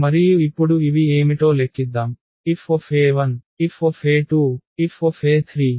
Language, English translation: Telugu, And now let us compute what are these F e 1, F e 2, F e 3, and F e 4